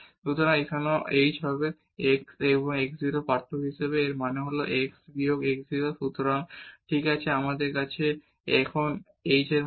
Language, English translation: Bengali, So, here also now the h will become as the difference of x and x 0; that means, x minus x 0